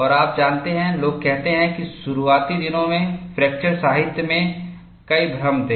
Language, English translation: Hindi, And you know, people say that, there have been several confusion in the fracture literature in the early days